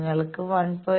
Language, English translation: Malayalam, So, if you have 1